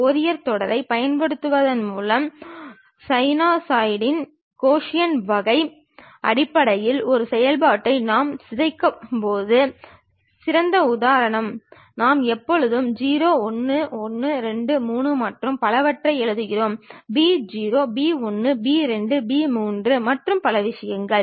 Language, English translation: Tamil, The best example is when we are decomposing a function in terms of sinusoidal cosine kind of thing by using Fourier series, we always write a0, a 1, a 2, a 3 and so on; b0, b 1, b 2, b 3 and so on so things